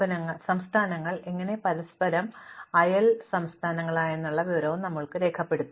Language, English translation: Malayalam, Now, we have to record the information about how these states are neighbors of each other